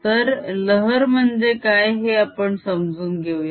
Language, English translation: Marathi, so let us understand what a wave is